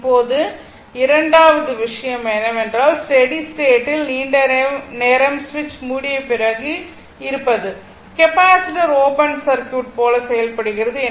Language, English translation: Tamil, Now, second thing is, the steady state a long time, after the switch closes, means the capacitor acts like open circuit right